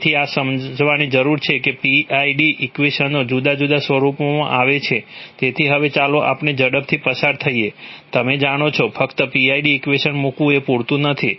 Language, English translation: Gujarati, So this is, so this, it needs to be understood that PID equations come in different, in different formats, so now let us quickly run through, some of the, you know, just putting the PID equation is not going to be enough, okay